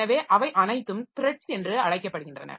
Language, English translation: Tamil, So, all of them are called threads